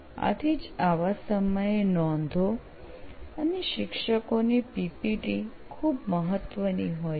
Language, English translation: Gujarati, So that is why notes and teacher’s PPTs are very important this time